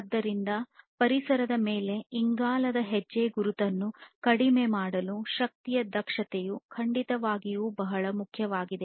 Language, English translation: Kannada, So, energy efficiency is definitely very important you know reducing carbon footprint on the environment, this is definitely very important